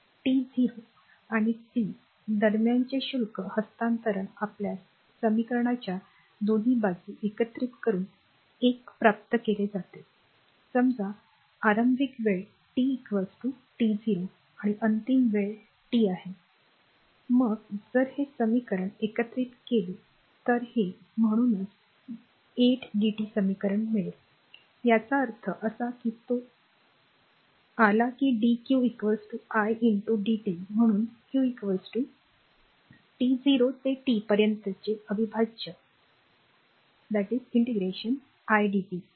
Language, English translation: Marathi, So, the charge transfer between the time t 0 and t is obtain by integrating both side of equation 1 we get; that means, suppose at initial time t is equal to t 0 and your final time is t, then if you integrate this equation if you get this equation therefore, that q can be made that is equal to t 0 to t idt ; that means, this one of you come that your dq is equal to i into dt, therefore q is equal to integral of t 0 to t then idt